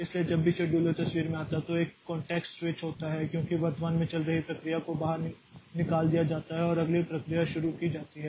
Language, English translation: Hindi, So, whenever this scheduler comes into picture there is a context switch because the currently running process is taken out and the next process is started